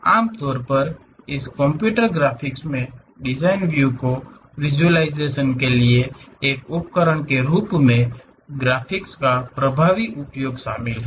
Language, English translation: Hindi, Usually this computer computer graphics involves effective use of graphics as a tool for visualization of design ideas